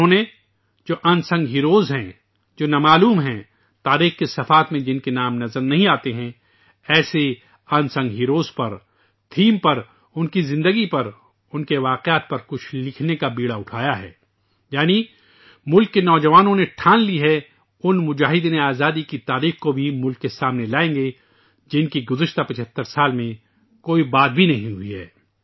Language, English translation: Urdu, They have taken the lead to write something on those who are unsung heroes, who are unnamed, whose names don't appear on the pages of history, on the theme of such unsung heroes, on their lives, on those events, that is the youth of the country have decided to bring forth the history of those freedom fighters who were not even discussed during the last 75 years